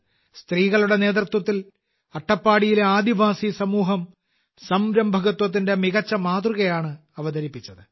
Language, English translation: Malayalam, Under the leadership of women, the tribal community of Attappady has displayed a wonderful example of entrepreneurship